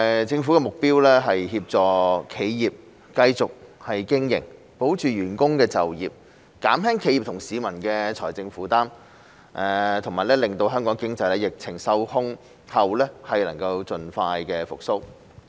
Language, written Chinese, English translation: Cantonese, 政府的目標是協助企業繼續經營、保住員工的就業、減輕企業和市民的財政負擔，以及令香港經濟在疫情受控後能夠盡快復蘇。, The Government aims to help businesses stay afloat keep workers in employment relieve the financial burden on businesses and individuals and enable Hong Kongs economy to recover expeditiously once the epidemic is contained